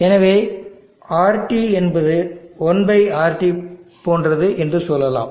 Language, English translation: Tamil, So let us say RT is something like that 1/RT